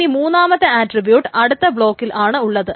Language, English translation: Malayalam, And again, so the third attribute is again in another block